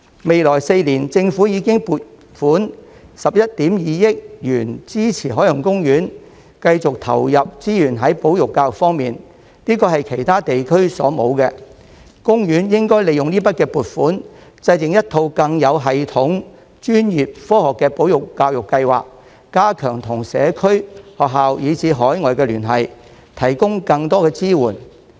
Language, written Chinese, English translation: Cantonese, 未來4年，政府已撥款11億 2,000 萬元支持海洋公園繼續投入資源在保育教育方面，這是其他地區所沒有的，公園應該利用這筆撥款制訂一套更有系統、專業及科學的保育教育計劃，加強與社區、學校以至海外的聯繫，提供更多支援。, For the next four years the Government has allocated 1.12 billion to support OPs ongoing resource injections in conservation and education which has never happened in other regions before . OP should make use of this provision to formulate a more systematic professional and scientific conservation and education programme to strengthen its ties with the community schools and overseas and provide more support